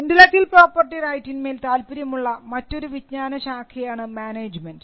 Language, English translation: Malayalam, There is another branch of knowledge, which also shows some interest on intellectual property right which is the management